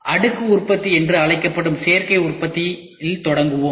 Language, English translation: Tamil, So, we will start with Additive Manufacturing which is otherwise called as layered manufacturing